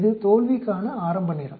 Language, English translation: Tamil, It is the earliest time for failure